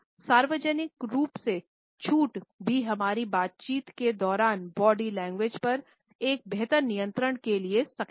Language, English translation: Hindi, Relaxation in public would also enable us to have a better control on our body language during our interaction